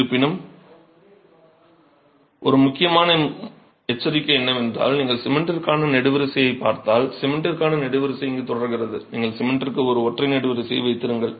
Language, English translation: Tamil, However, an important word of caution is if you look at the column for cement and the column for cement continues here, you just have one single column for cement, right